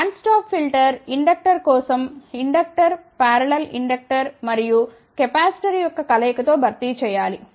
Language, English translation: Telugu, For band stop filter inductor has to be replaced by parallel combination of inductor and capacitor